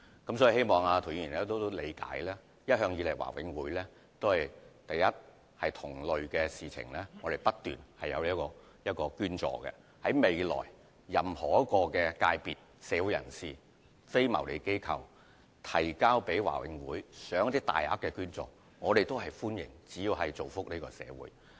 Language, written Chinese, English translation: Cantonese, 我希望涂議員理解，第一，華永會一直以來都有就同類申請作出捐助，而日後無論任何非牟利機構向華永會提出大額捐款的申請，只要是造福社會，我們都會歡迎。, I hope Mr TO will understand that in the first place the Board has been continuously granting donations to similar applications and so long as the huge donations requested are used for the benefit of the community we welcome any application from any non - profit - making organizations